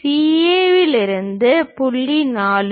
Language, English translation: Tamil, From DA the point is 4